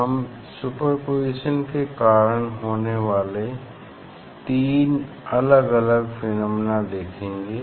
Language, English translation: Hindi, mainly three phenomena we see distinctly due to super position